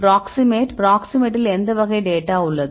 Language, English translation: Tamil, Proximate, proximate contains which type of data